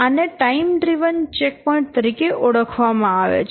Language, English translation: Gujarati, This is known as time driven checkpoints